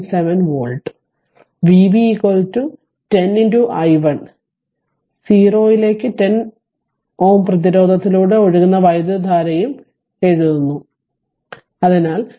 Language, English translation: Malayalam, 7 volt and V b is equal to your 10 into i 10 ohm, we are writing that is current flowing through 10 ohm resistance; so, 10 into 4